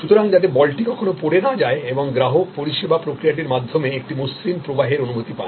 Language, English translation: Bengali, So, that the ball is not dropped and the customer gets a feeling of a smooth flow through the service process